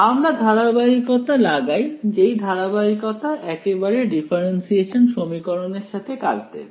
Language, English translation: Bengali, We impose continuity, that continuity did it directly deal with the differential equation